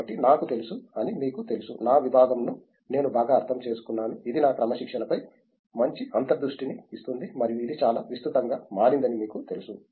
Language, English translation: Telugu, So, that way you know I do know, I understand my discipline better it gives me better insights into my discipline and you know it’s become very broad